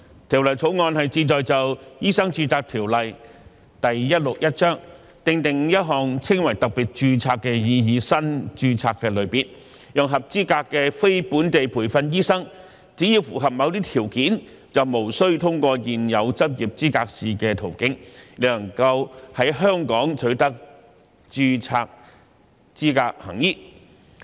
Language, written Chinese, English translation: Cantonese, 《條例草案》旨在就《醫生註冊條例》訂定一項稱為特別註冊的擬議新註冊類別，讓合資格的非本地培訓醫生只要符合某些條件，便無須通過現有執業資格試的途徑，亦能夠在香港取得註冊資格行醫。, The Bill seeks to provide for a proposed new type of registration known as special registration under the Medical Registration Ordinance Cap . 161 for qualified non - locally trained doctors NLTDs to obtain full registration and practise in Hong Kong as an alternative to the current pathway of passing the Licensing Examination subject to certain criteria being met